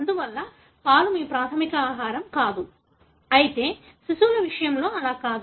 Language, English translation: Telugu, Therefore milk is not your primary food, whereas that is not the case for infants